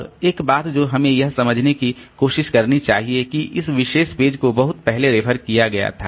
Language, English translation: Hindi, Now, one thing that we should try to understand that suppose this particular page was referred long back